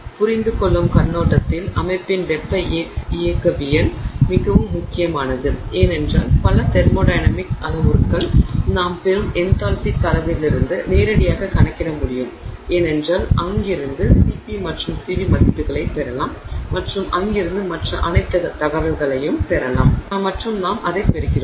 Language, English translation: Tamil, It is very important from the perspective of understanding the thermodynamics of the system because many of the thermodynamic parameters can be calculated directly out of the enthalpy data that we get and because from there we will get the CP and CV values and from there we get all the other information